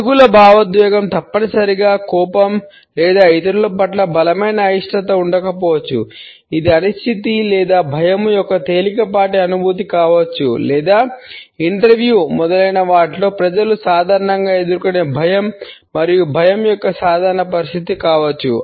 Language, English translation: Telugu, The negative emotion may not necessarily be anger or a strong dislike towards other; it may also be a mild feeling of uncertainty or nervousness or a normal situation of apprehension and fear which people normally face at the time of interviews etcetera